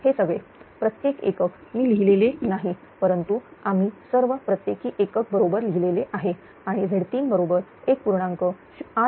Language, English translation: Marathi, These are all per unit right; I am not written, but throughout the thing we have written all per unit right; all per unit and Z 3 is equal to ah 1